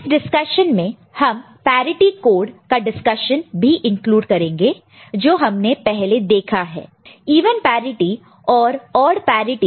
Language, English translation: Hindi, And while discussing it we will also shall include discussion on parity code that we have seen before; even parity and odd parity